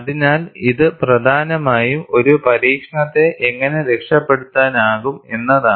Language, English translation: Malayalam, So, it is essentially like, how well a test can be salvaged